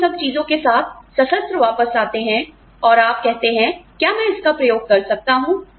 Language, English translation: Hindi, You come back, armed with all this, and you say, may I experiment it